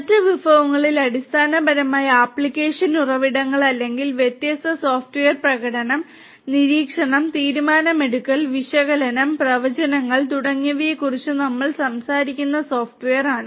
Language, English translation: Malayalam, And on the other resource is basically the application resources or the software where we are talking about you know different software performing, monitoring, decision making, analytics, predictions, and so on